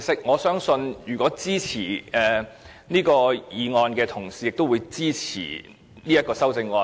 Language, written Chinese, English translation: Cantonese, 我相信，支持《條例草案》的同事，也會支持這項修正案。, I believe those colleagues who support the Bill also support this amendment